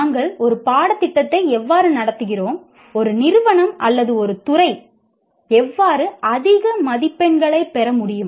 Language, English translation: Tamil, And then how do we conduct, how should an institute or a department conduct itself so that they can score higher marks